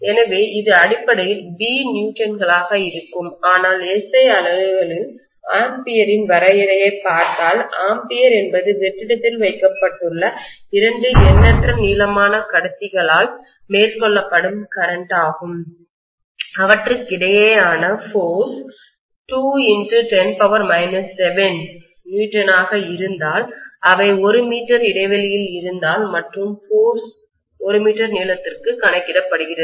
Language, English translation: Tamil, So this will be essentially B Newtons but in the SI units, if you look at the definition of ampere, it would say the ampere is a current carried by 2 infinitely long conductors placed in vacuum, if the force between them happens to be 2 into 10 power minus 7 newton if they are 1 meter apart and the force is calculated per meter length